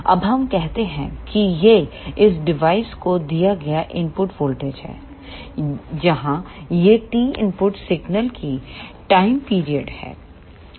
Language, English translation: Hindi, Now, let us say this is the input voltage given to this device, where this capital T is the time period of the input signal